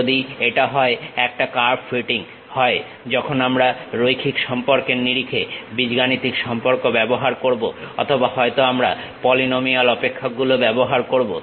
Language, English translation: Bengali, If it is a curve fitting either we will use the algebraic relations in terms of linear relations or perhaps we will be using polynomial functions